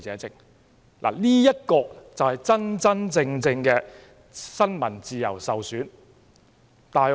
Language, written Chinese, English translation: Cantonese, 這才是真真正正新聞自由受損的範例。, That is a genuine example of undermining freedom of the press